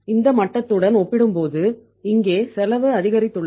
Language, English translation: Tamil, Here the cost has increased as compared to this level